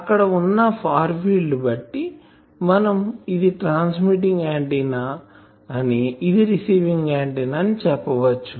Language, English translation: Telugu, There in the far field of each other and let us say that this is a transmitting antenna, this is a receiving antenna